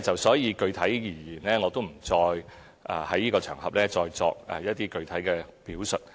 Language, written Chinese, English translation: Cantonese, 所以，具體而言，我不會在這場合再作一些具體表述。, Therefore I am actually not going to give a factual presentation on this occasion